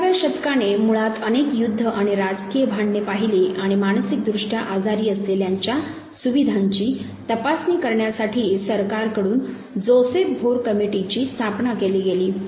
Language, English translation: Marathi, 20th century basically witnessed multiple war and political strife, and the board committee was constituted by the government to examine the facilities for the mentally ill